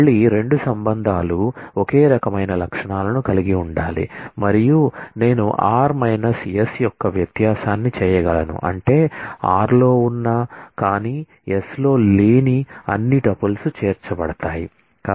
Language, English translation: Telugu, Again, the 2 relations must have the same set of attributes and I can do a difference of r minus s which mean that all tuples which exist in r, but do not exist in s will be included